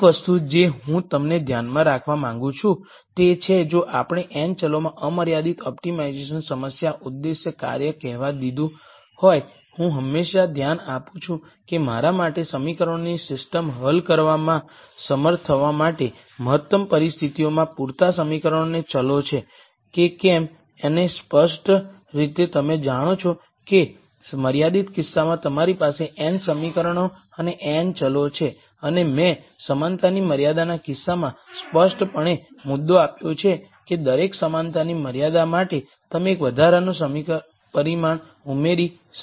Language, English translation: Gujarati, One thing that I want you to keep in mind is if we had let us say an unconstrained optimization problem objective function in n variables, I always look at whether the optimum conditions have enough equations and variables for me to be able to solve the system of equations and clearly you know in the unconstrained case you have n equations and n variables and I clearly made the point in the equality constraint case that for every equality constraint you add an extra parameter